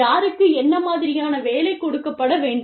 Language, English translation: Tamil, Who needs to be given, what kind of work